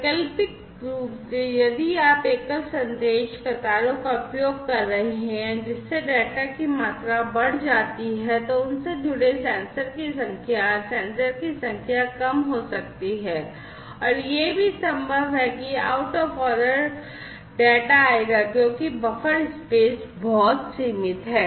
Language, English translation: Hindi, Alternatively, if you are using single message queues, that increases the data volume, the number of sensors that are connected to them, the number of sensors could be reduced, and it is also possible that out of order data will come because the buffer space is very limited